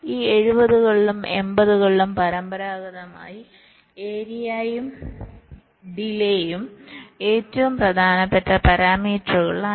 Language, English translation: Malayalam, traditionally in this seventies and eighties, area and delay were the most important parameters